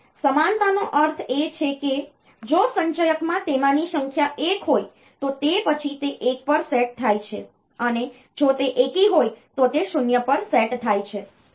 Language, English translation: Gujarati, So, parity is even means if the number of ones in it in the accumulator is 1, then it is then it is set to 1, and if it is it is odd then it is set to 0